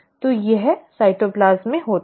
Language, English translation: Hindi, So this is like in the cytoplasm